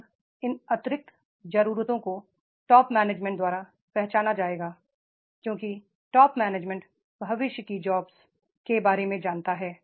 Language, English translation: Hindi, Now, these additional needs that will be identified by the top management because the top management knows about the future jobs